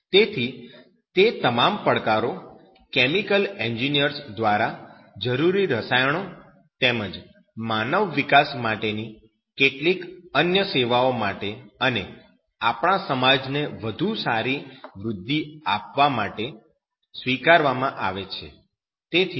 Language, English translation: Gujarati, So, all those challenges are taken by chemical engineers for the better and better way to give essential chemicals as well as some other services to human development and also the growth of our society in a better way